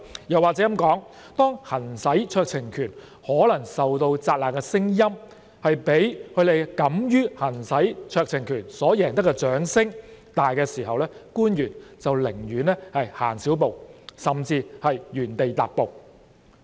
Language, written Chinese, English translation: Cantonese, 又或說，當行使酌情權可能受到責難的聲音，蓋過他們敢於行使酌情權所贏得的掌聲時，官員便寧願走少一步，甚至原地踏步。, One may say that some officials would choose to refuse to take a step forward or even stand still if the applause they would win for exercising their discretion might be obliterated by the noise of criticism